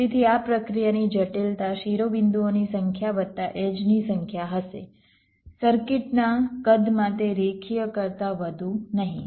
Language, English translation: Gujarati, so the complexity of this process will be number of vertices plus number of edges, not more than that linear in the size of the circuit